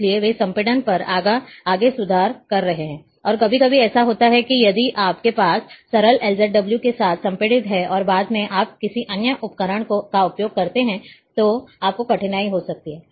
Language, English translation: Hindi, So, they, they are further improving on the compression, and sometimes what happens, that if you have compressed with simple LZW, and a later on you are using some other tool, you may have difficulty